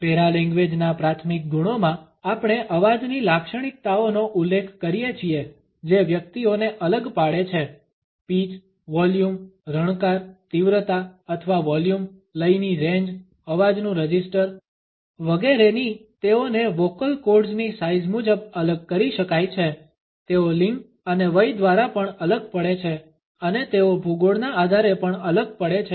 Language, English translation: Gujarati, In the primary quality of paralanguage we refer to the characteristics of voice that differentiate individuals, the pitch, the volume, the resonance, the intensity or volume the range of the intonation the voice register etcetera these are differentiated because of the size of the vocal cords, they are also differentiated by the gender and also by age and also they are differentiated on the basis of the geography